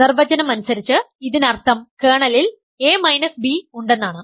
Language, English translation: Malayalam, This by definition means a minus b is in the kernel right